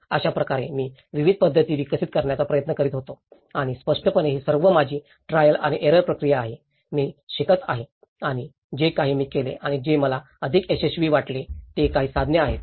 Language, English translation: Marathi, So, this is how I was trying to develop various methods and obviously, these are all my trial and error process, I am also learning and whatever I did and what I felt was more successful was some of the tools